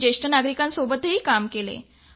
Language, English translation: Marathi, I work with senior citizens